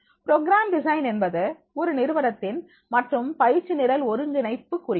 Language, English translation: Tamil, The program design refers to the organization and coordination of the training programs